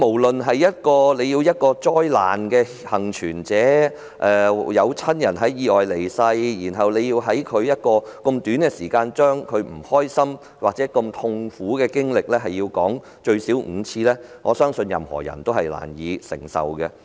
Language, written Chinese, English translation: Cantonese, 打個比喻說，一個災難幸存者，有親人在意外中離世，但卻被要求在短時間內把這段痛苦的經歷複述至少5遍，我相信任何人均難以承受。, Let me give an analogy . A survivor of a tragedy has suffered the loss of loved ones in the incident but is then required to repeatedly describe this painful experience for at least five times within a short time . I do not think anyone can find this bearable